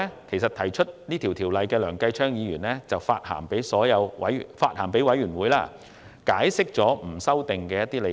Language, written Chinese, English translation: Cantonese, 其後，提出《條例草案》的梁繼昌議員曾向法案委員會致函，解釋不作修訂的一些理據。, Subsequently Mr Kenneth LEUNG mover of the Bill wrote to the Bills Committee to explain why he would not amend the Bill